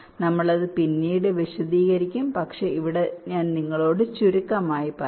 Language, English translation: Malayalam, we shall explain it later, but here let me just briefly tell you about ah